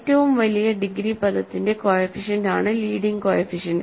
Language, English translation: Malayalam, The leading coefficient is the coefficient of the largest degree term